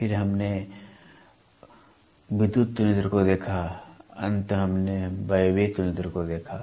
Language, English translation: Hindi, Then we saw electrical comparator, finally, we saw, what is pneumatic comparator